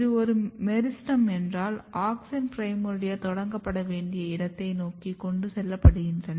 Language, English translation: Tamil, If this is a meristem then auxins are getting transported towards the position where a primordia has to be initiated